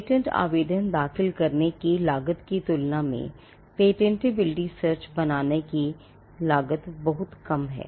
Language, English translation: Hindi, The cost of generating a patentability search is much less than the cost of filing a patent application